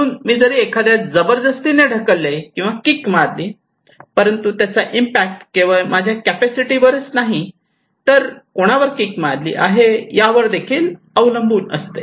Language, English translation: Marathi, So, even though I can force someone, I can just kick someone, but it impact depends not only on my capacity but also whom I am kicking